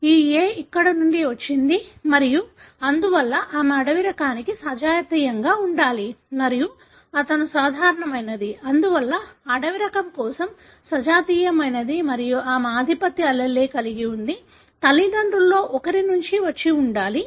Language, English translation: Telugu, This ‘a’ had come from here and therefore she should have been homozygous for the wild type and he is normal, therefore homozygous for the wild type and she is having the dominant allele, should have come from one of the parents